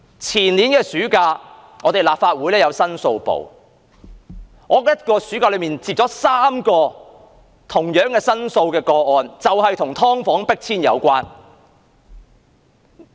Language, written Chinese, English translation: Cantonese, 前年暑假，我從立法會公共申訴辦事處接了3宗申訴個案 ，3 宗也是與"劏房戶"被迫遷有關的。, In the summer recess the year before last I received three cases from the Public Complains Office of the Legislative Council and all the three cases were about the eviction of tenants of subdivided units